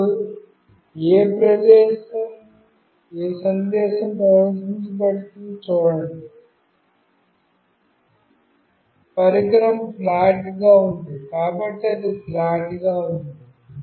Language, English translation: Telugu, And now see what message is getting displayed, the device is flat, so it is lying flat